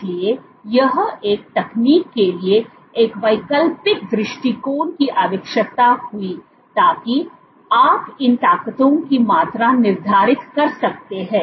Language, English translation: Hindi, So, this called for an alternate approach a technique to so, that you can quantify these forces